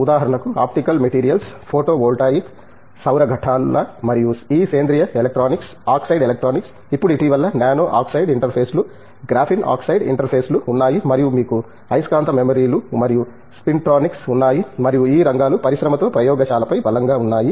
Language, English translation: Telugu, For example, this functional and advanced materials, comprising, optical materials, photovoltaics, solar cells and you have this organic electronics, oxide electronics, now the recent nano oxide interfaces, graphene oxide interfaces and you have magnetic memories and spintronics and I think these areas have strong over lab with industry